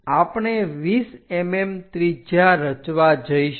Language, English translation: Gujarati, We are going to construct a radius of 20 mm